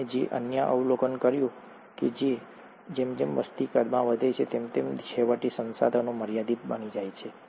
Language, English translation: Gujarati, The other observation that he made is that, as a population grows in size, eventually, the resources become limited